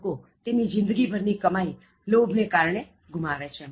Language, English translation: Gujarati, People lose their lifetime earnings owing to their greed